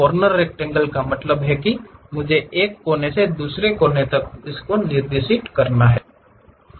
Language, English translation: Hindi, Corner rectangle means I have to specify one corner to other corner